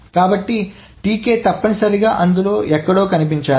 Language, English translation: Telugu, So, TK must be appearing somewhere in that